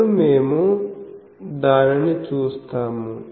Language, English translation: Telugu, Now, we will see that